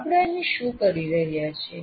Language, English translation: Gujarati, What are we doing there